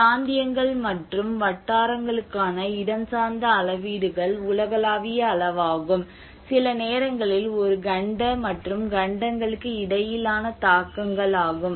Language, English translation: Tamil, Whereas the spatial scales respective to regions and localities prone to occur, well it is a global scale sometimes is a continental and intercontinental impacts